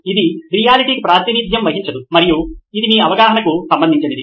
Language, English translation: Telugu, It’s not reality itself represented, and it’s to your understanding